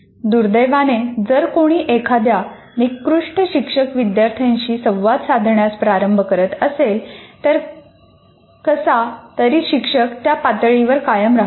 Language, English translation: Marathi, And unfortunately, if somebody starts with a poor teacher student interaction, somehow the teacher continues to stay at that level, which is unfortunate